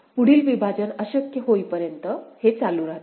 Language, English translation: Marathi, This continues till no further partition is possible